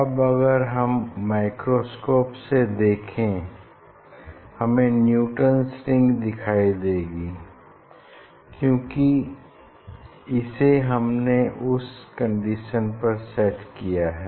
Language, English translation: Hindi, Now as I told if I look at the microscope, I will see the Newton s ring because I have set for that condition